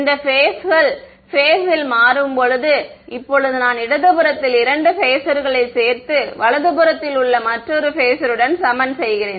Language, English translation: Tamil, These phasors will change in phase, now I am adding 2 phasors on the left hand side and equating it to another phasor on the right hand side